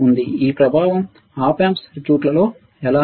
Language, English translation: Telugu, How this effect of the Op amp circuit